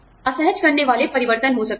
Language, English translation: Hindi, There could be unsettling changes